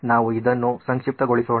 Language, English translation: Kannada, Let me abbreviate it